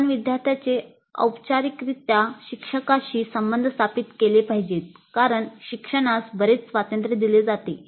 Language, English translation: Marathi, We must formally establish the relationship of the student to the instructor because there is considerable freedom given to the learner